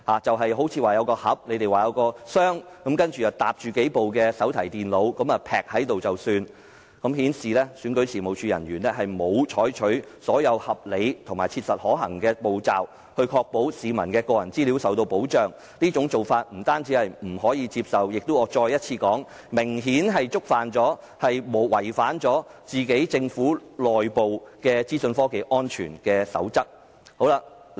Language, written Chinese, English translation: Cantonese, 據說當時用了一個箱，把數部手提電腦疊放在一起便了事，顯示選舉事務處人員沒有採取所有合理和切實可行的步驟，確保市民的個人資料受到保障，這種做法不單不可接受，而且要再次說明，已明顯違反了政府的內部資訊科技安全守則。, According to reports they only stacked several notebook computers casually inside a box . This shows that REO staff did not take all reasonable and practicable steps to ensure the protection of peoples personal data . This is unacceptable and shows further that the internal information security code of the Government was clearly violated